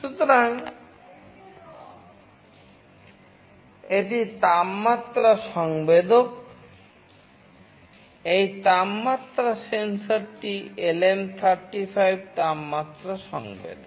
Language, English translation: Bengali, So, this is the temperature sensor, this temperature sensor is LM35 temperature sensor